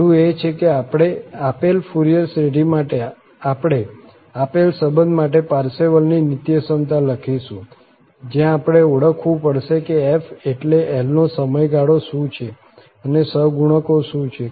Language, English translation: Gujarati, The first one we will write the Parseval's Identity for this given relation, for the given Fourier series, where we have to identify that what is the period means L and what are the coefficients